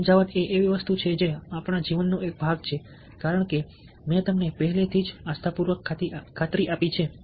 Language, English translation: Gujarati, persuasion is something which is a part of a life, as i have already convinced you, hopefully